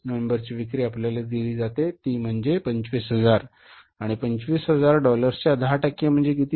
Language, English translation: Marathi, November sales are given to you is that is the 25,000 again and what is the 10% of that